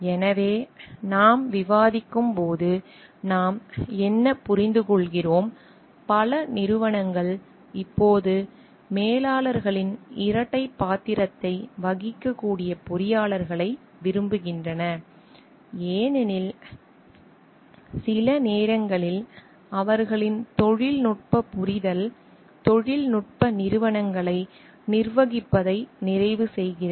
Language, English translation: Tamil, So, what we understand like as we are discussing; many companies now prefer engineers who can play the dual role of managers because sometimes their technical understanding complements the managing the technological corporations